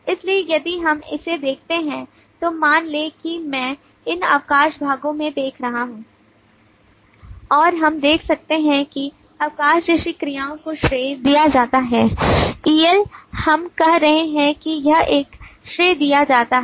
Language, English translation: Hindi, so if we look at this then suppose if i am looking into these leave parts and we can see that the verbs like the leave is credited, el we are saying it is credited